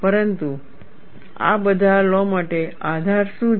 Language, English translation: Gujarati, But for all these laws, what is the basis